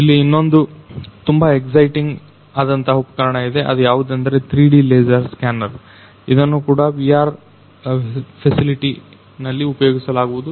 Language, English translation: Kannada, There is very another very exciting equipment which is the 3D laser scanner which is also used in VR facility